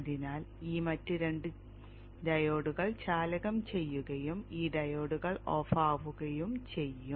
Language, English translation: Malayalam, So these other two diodes will be conducting and will make these two diodes go off